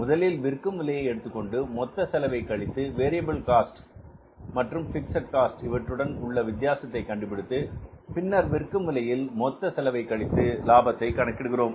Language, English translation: Tamil, We take the selling price minus total cost variable in the fixed cost and then we arrive at the difference of the selling price minus the total cost is the profit or the margin